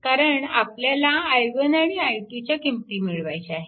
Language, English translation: Marathi, And you have to solve for i 1 and i 2